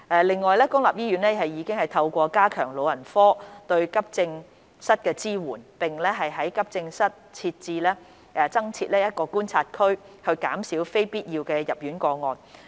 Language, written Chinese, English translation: Cantonese, 另外，公立醫院已透過加強老人科對急症室的支援，並於急症室增設觀察區，減少非必要入院的個案。, Besides public hospitals have enhanced geriatric support to AE departments and set up additional observation areas in AE departments to reduce avoidable hospitalization